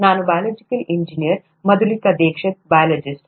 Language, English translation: Kannada, I am a biological engineer, Madhulika Dixit is a biologist